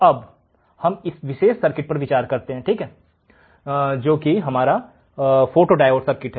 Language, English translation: Hindi, Now, let us consider this particular circuit, which is our photodiode circuit